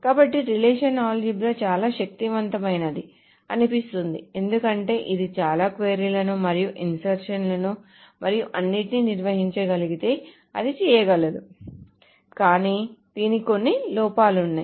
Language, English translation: Telugu, So relational algebra seems to be very powerful because it can do a lot of queries and insertions and all those things it can handle but it has got some drawback